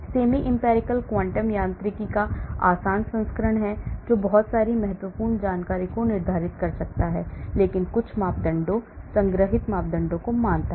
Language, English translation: Hindi, Semi empirical is the easier version of quantum mechanics , which can also determine lot of important information but it assumes certain parameters, stored parameters